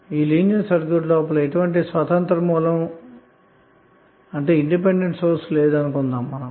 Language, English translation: Telugu, Now, the assumption is that there is no independent source inside the linear circuit